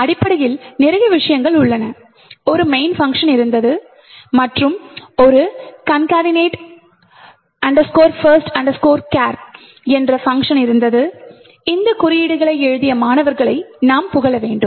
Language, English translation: Tamil, C and there is essentially, did a lot of things, there was a main and there was a concatenate first chars function and I have to give credit to the students who wrote this codes